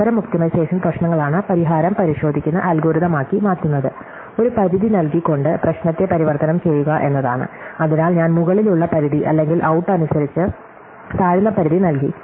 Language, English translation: Malayalam, So, the solution in such optimization problem is to convert them into checking algorithms is to transform the problem by giving a bound, so I give an upper bound or a lower bound depending on out